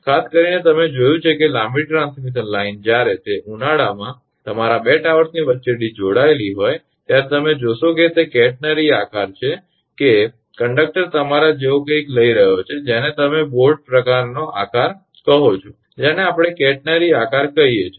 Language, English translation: Gujarati, Particularly you have seen that long transmission line when it is it is connected between your 2 towers right in summer you will find that it is a catenary shape that that conductor is taking something like your what you call your boat type of shape we call catenary shape